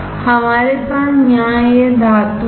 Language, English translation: Hindi, We have this metal here